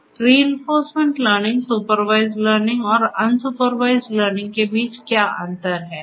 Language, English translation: Hindi, So, what are the differences between reinforcement learning, supervised learning and unsupervised learning